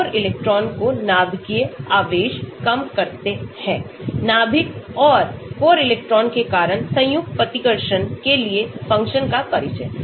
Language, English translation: Hindi, core electrons reduce nuclear charge, introduction of function to model combined repulsion due to nucleus and core electron